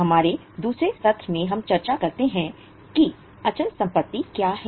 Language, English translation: Hindi, In our second session we have discussed what is a fixed asset